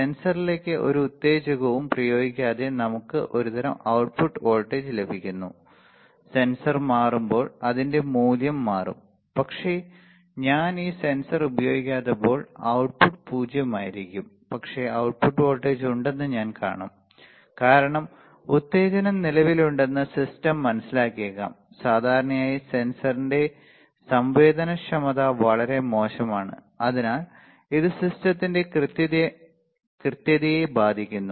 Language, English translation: Malayalam, Then without applying any stimulus to the sensor the output voltage we are getting some kind of output voltage right, when the sensor changes it is value the output will change, but when I am not using this sensor at all the output should be 0, but I will see that there is an resultant output voltage, the system may understand that stimulus exist, generally the sensitivity of the sensor is very poor and hence it affects the accuracy of the system right